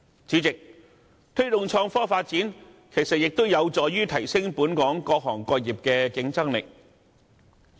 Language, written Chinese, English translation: Cantonese, 主席，推動創科發展，亦有助提升本港各行各業的競爭力。, Chairman promoting innovation and technology development can also help enhance the competitive edge of the various industries and trades in Hong Kong